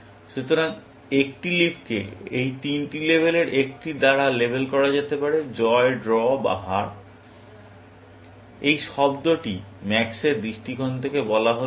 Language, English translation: Bengali, So, a leaf may be labeled by one of these three labels; win, draw or loss; and this word is from max’s perspective